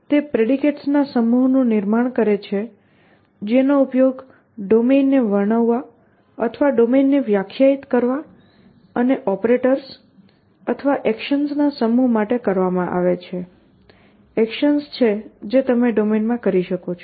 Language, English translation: Gujarati, Essentially it constitutes of a set of predicates which are used to describe the domain or define a domain and a set of operators or actions, which are the actions that you can do in the domain